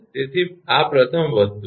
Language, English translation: Gujarati, So, this is the first thing